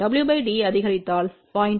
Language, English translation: Tamil, If w by d is increase from let us say 0